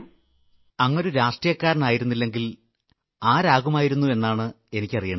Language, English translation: Malayalam, I want to know from you;had you not been a politician, what would you have been